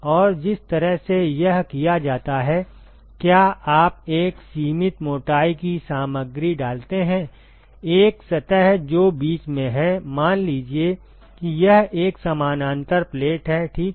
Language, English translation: Hindi, And the way it is done is you put a finite thickness material, a surface which is in between, let say it is a parallel plate, ok